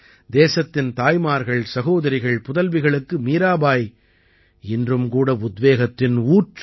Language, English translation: Tamil, Mirabai is still a source of inspiration for the mothers, sisters and daughters of the country